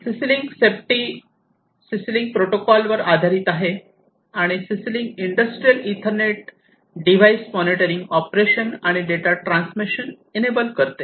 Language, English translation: Marathi, CC link safety is based on the CC link protocol and CC link IE enables operation, device monitoring and data transmission